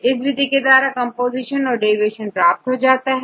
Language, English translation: Hindi, In this method, we use the composition and the deviation